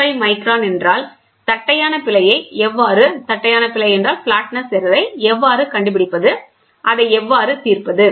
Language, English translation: Tamil, 5 microns determine the error in flatness; how do you solve it